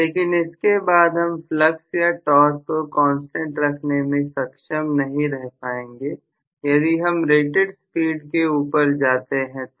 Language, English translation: Hindi, But beyond that I would not be able to hold the flux or the torque as a constant, if I want to go beyond the rated speed